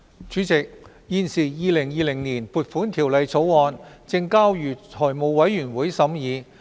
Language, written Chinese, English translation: Cantonese, 主席，《2020年撥款條例草案》現正交由財務委員會審議。, President the Appropriation Bill 2020 is undergoing scrutiny at the Finance Committee